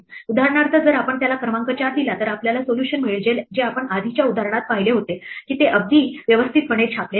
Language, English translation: Marathi, For instance if we give it the number 4 then we will get the solution that we saw in the earlier example it is not very printed out very neatly